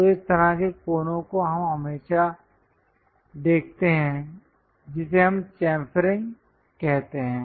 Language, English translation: Hindi, So, that kind of corners we always see, that is what we call chamfering